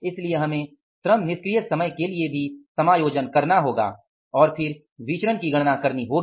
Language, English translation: Hindi, So we will have to adjust for the labor idle time also and then calculate the variances